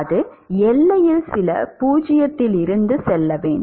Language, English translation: Tamil, It has to go from some 0 at the boundary